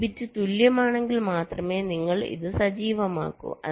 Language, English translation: Malayalam, only if this bits are equal, then only you activate this